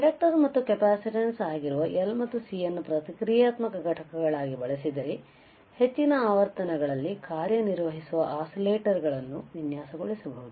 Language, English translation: Kannada, While if I use L and C that is inductor and capacitance as reactance is or reactive components, then we can design oscillators which can work at higher frequencies right